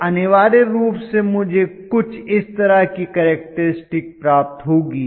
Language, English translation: Hindi, So, I am going to get essentially a characteristic somewhat like this